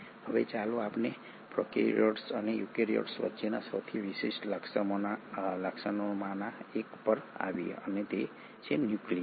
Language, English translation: Gujarati, Now let us come to one of the most distinguishing features between the prokaryotes and the eukaryotes and that is the nucleus